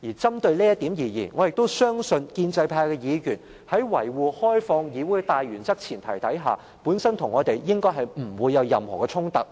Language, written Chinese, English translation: Cantonese, 針對這點而言，我亦相信建制派議員在維護開放議會的大原則和前提下，與我們不會有任何衝突。, On this point I trust Members from the pro - establishment camp will not take issue with us regarding the main principles and premise of maintaining the openness of the legislature